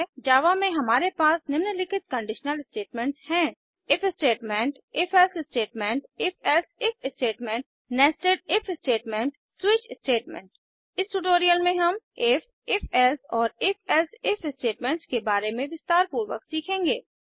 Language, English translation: Hindi, In Java we have the following conditional statements: * If statement#160 * If...Else statement#160 * If...Else if statement#160 * Nested If statement * Switch statement In this tutorial, we will learn about If, If...Else and If...Else If statements in detail